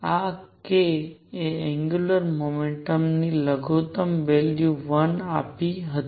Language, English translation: Gujarati, Since this k gave the angular momentum the minimum value was 1